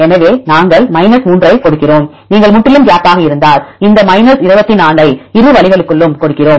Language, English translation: Tamil, So, we give 3, if you completely gap, then we gives this 24 up to the both ways